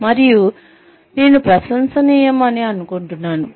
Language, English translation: Telugu, And that, I think is commendable